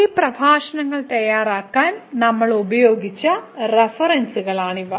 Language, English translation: Malayalam, These are references which we have used to prepare these lectures and